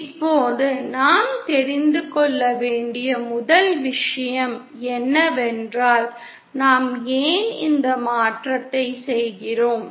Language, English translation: Tamil, Now 1st thing we have to know is why do we do this conversion